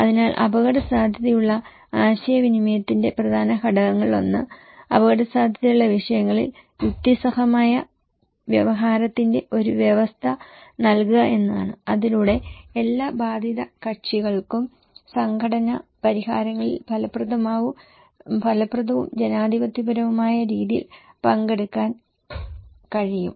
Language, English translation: Malayalam, So, one of the key component, objective of risk communication, disaster risk communication is to provide a condition of rational discourse on risk issues, so that all affected parties okay they can take part in an effective and democratic manner for conflict resolutions